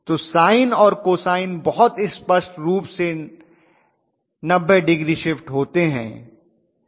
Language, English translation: Hindi, So sine and cosine very clearly 90 degrees shift